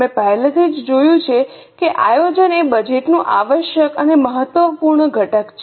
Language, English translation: Gujarati, We have already seen that planning is the essential and the most important component of budget